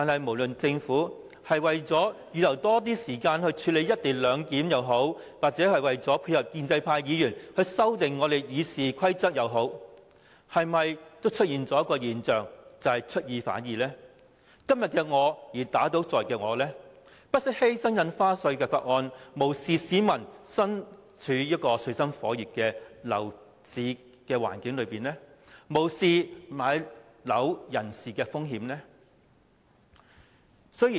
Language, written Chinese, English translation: Cantonese, 不論政府是為了預留更多時間處理"一地兩檢"，還是配合建制派議員修訂《議事規則》，提出休會待續的議案，已反映政府出爾反爾，以今天的我打倒昨天的我，不惜犧牲《條例草案》，無視市民身處水深火熱的樓市環境，亦無視買樓人士的困境。, By moving the adjournment motion the Government might either intend to reserve more time for handling the motion on the co - location arrangement or facilitate the amendments to the Rules of Procedure proposed by pro - establishment Members . Whichever the reason the Government has apparently gone back on its words and refuted what it had previously upheld at the expense of the Bill turning a blind eye to the difficult property market conditions afflicting the public as well as the plight of potential home buyers